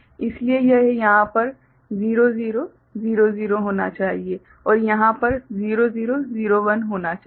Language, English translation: Hindi, So, it should be 0 0 0 over here and 0 0 0 1 over here